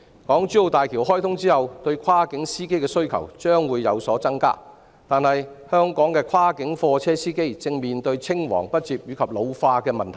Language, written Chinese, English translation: Cantonese, 港珠澳大橋開通後，對跨境司機的需求將會有所增加；但是，香港的跨境貨車司機正面對青黃不接及老年化的問題。, Following the opening of HZMB there is a greater demand for cross - boundary drivers . However the cross - boundary driver trade in Hong Kong faces succession and ageing problems